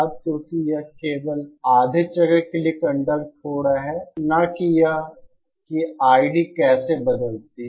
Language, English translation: Hindi, Now because it is now conducting only for the half cycle, not how I D changes